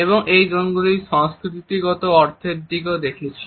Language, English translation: Bengali, We had also looked at the cultural connotations of these zones